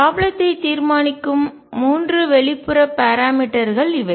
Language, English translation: Tamil, These are the 3 external parameters that determine the problem